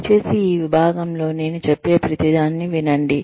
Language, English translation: Telugu, Please listen to everything, I say, in this section